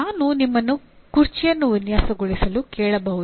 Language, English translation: Kannada, I can ask you to design a chair